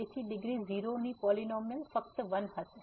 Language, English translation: Gujarati, So, the polynomial of degree 0 will be simply 1